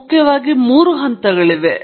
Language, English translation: Kannada, Primarily, you have three stages